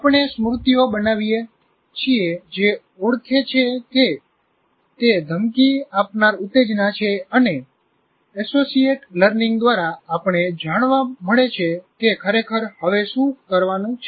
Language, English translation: Gujarati, And by our, we build memories which identify that it is a threatening stimulus and through associative learning, we know what exactly to do